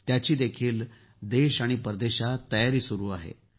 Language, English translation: Marathi, Preparations are going on for that too in the country and abroad